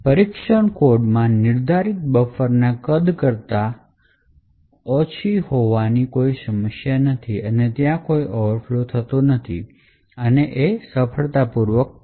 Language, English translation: Gujarati, Since 64 is less than the size of the buffer defined in test code so there is no problem and there is no overflow that occurs, and test code completes successfully